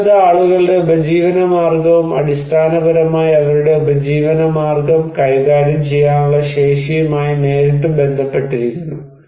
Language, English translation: Malayalam, So, vulnerability is directly connected with people's livelihood and their capacity to manage their livelihood basically